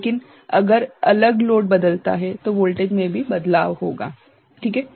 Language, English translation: Hindi, But, if the different the load varies then the voltage will vary, right